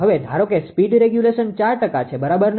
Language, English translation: Gujarati, Now, assume a speed regulation is 4 percent, right